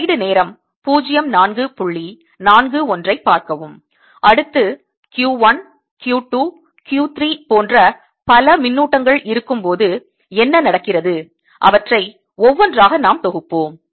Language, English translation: Tamil, next, what happens when many charges q one, q two, q three and so on, or there, let's assemble them one by one